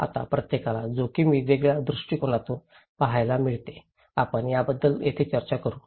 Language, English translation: Marathi, Now, each one see risk from different perspective, we will discuss this here okay